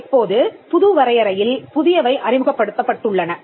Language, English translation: Tamil, Now, these were definition, now these were introduced by the new definition